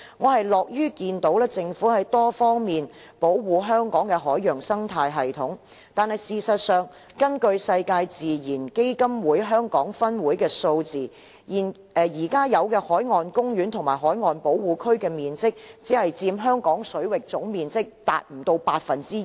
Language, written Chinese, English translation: Cantonese, 我樂於看到政府在多方面保護香港的海洋生態系統，但事實上，根據世界自然基金會香港分會的數字，現有海岸公園及海岸保護區的面積只佔香港水域總面積不足 2%。, I am pleased to see the different efforts that the Government has made in protecting the marine ecosystem in Hong Kong . But the fact is that at present the area of marine parks and marine reserves only accounts for less than 2 % of the total area of Hong Kong waters according to the figures from the WWF Hong Kong